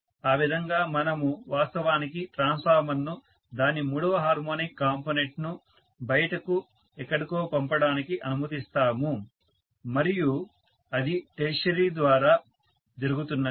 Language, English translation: Telugu, So that is how we actually you know allow the transformer to went out its third harmonic component somewhere and that is doing through tertiary as simple as that